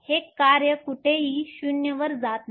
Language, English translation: Marathi, This one the function does not go to 0 anywhere